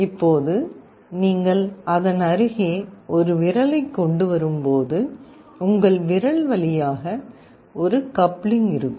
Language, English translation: Tamil, Now when you are bringing a finger near to it, there will be a coupling through your finger